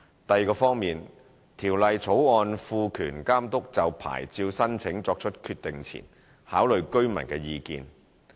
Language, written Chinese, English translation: Cantonese, 第二方面，《條例草案》賦權監督就牌照申請作出決定前考慮居民的意見。, The second aspect is that the Bill will empower the Authority to take into account local residents views before making a decision on the licence application